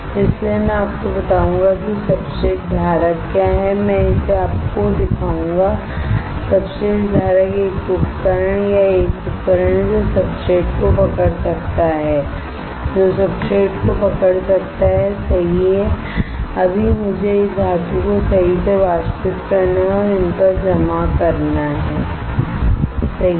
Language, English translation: Hindi, So, I will tell you what are substrate holders I will show it to you substrate holder is the is the equipment or a tool that can hold the substrate, that can hold the substrate right now I have to evaporate this metal right and deposit on these substrates right